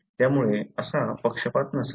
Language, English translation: Marathi, So, not such biasness should be there